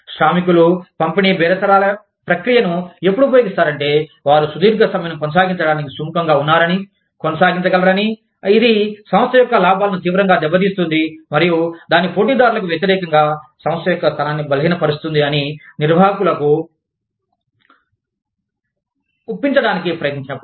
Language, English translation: Telugu, The labor, tends to use distributive bargaining, when it attempts to convince management, that it is willing, and able to sustain a long strike, that will severely damage the company's profits, and weaken the company's position, against its competitors